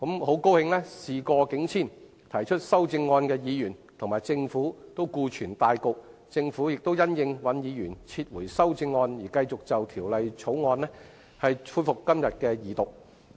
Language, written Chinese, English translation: Cantonese, 慶幸事過境遷，提出修正案的尹兆堅議員及政府都顧全大局，政府亦因應尹議員撤回修正案而繼續就《條例草案》恢復今天的二讀。, Both Mr Andrew WAN the proposer of the amendment and the Government have taken public interests into account and the Government has decided to resume the Second Reading of the Bill today in response to Mr WANs withdrawal of his amendment